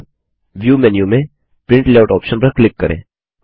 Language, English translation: Hindi, Now lets us click on Print Layout option in View menu